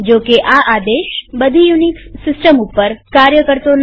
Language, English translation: Gujarati, This command may not work in all unix systems however